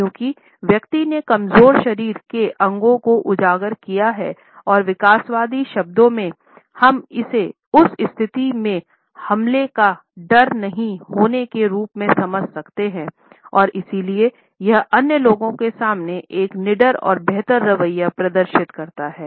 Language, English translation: Hindi, Because the person has exposed the vulnerable body parts and in evolutionary terms we can understand it as having no fear of attack in that situation and therefore, it displays a fearless and superior attitude in front of the other people